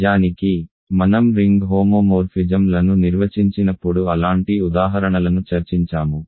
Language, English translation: Telugu, In fact, I think I discussed such examples when I defined ring homomorphisms